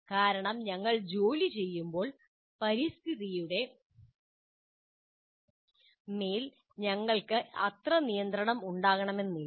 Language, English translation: Malayalam, Because when we are working, we may not have that much control over the environment